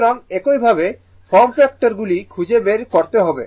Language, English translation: Bengali, So, similarly form factor you can find out